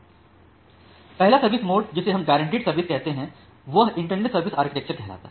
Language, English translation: Hindi, So, the first mode of services, which we call as the guaranteed service, that is the integrated service architecture